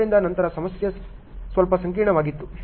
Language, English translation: Kannada, So, then the problem was little complex